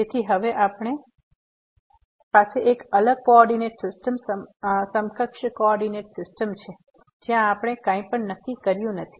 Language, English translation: Gujarati, So, now, we have a different coordinate system equivalent coordinate system where we have not fixed anything